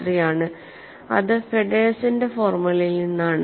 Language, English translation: Malayalam, 183 from Fedderson's formula